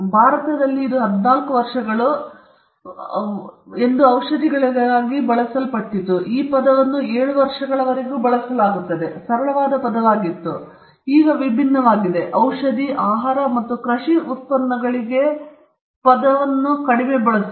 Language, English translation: Kannada, In India, it used to be 14 years, and for pharmaceuticals in India, the term used to be upto 7 years; it was a flexible term; it used to be different; for pharmaceutical, food, and agricultural products the term use to be even lesser